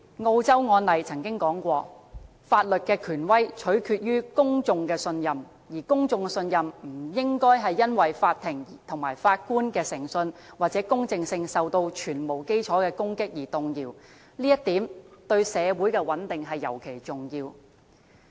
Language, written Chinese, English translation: Cantonese, 澳洲曾有案例指出，法律的權威取決於公眾的信任，而公眾的信任不應該因為法庭和法官的誠信或公正性受到全面基礎的攻擊而動搖，這一點對社會的穩定尤為重要。, As pointed out in a court case in Australia the authority of law hinges on public trust and such trust should not be wavered by extensive attacks on the integrity and impartiality of courts and judges . This point is especially important to the stability of our society